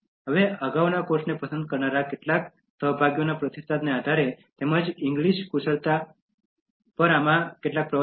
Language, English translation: Gujarati, Now based on the feedback from some of the course participants who liked the previous course, as well as some of the lectures given in this one on English Skills